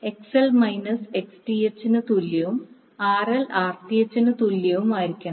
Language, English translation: Malayalam, That is XL should be equal to minus of Xth